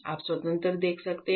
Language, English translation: Hindi, You can see independent